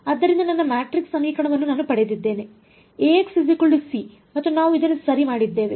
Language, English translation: Kannada, So, I have got my matrix equation A x equal to c and we have done this ok